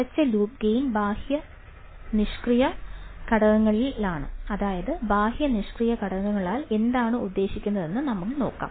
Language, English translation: Malayalam, Closed loop gain is in the external passive components, that is, we have seen what do we mean by external passive components